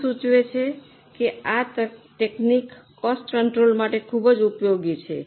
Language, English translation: Gujarati, As the name suggests, this technique is very much useful for cost control purposes